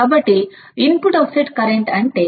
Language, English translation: Telugu, So, what is input offset voltage